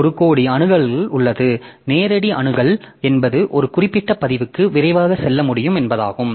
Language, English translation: Tamil, So, direct access means that we can go to a particular record rapidly